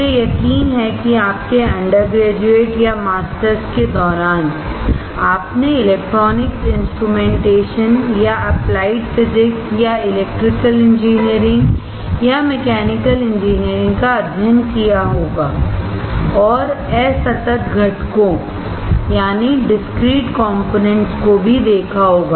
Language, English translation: Hindi, I am sure that during your undergrad or masters, you must have studied electronics instrumentation or applied physics or electrical engineering or mechanical engineering, and have come across discrete components